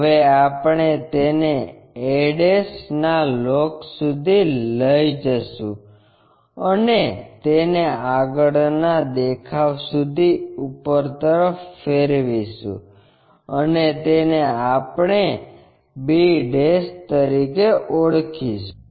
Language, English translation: Gujarati, Now, we have to continue it to locus of a ' up to all the way there and rotate that upward up to the front view and name it b '